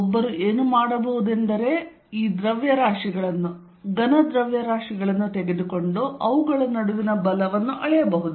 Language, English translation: Kannada, What one could do is that, one could take these masses, solid masses and measure the force between them